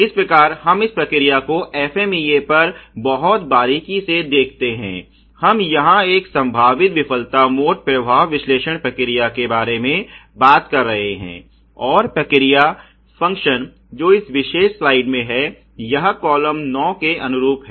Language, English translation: Hindi, So, let us look at this process FMEA a very closely, we are talking here about a potential failure mode effect analysis process, and the process function that is in this particular slide here which is corresponding to column 9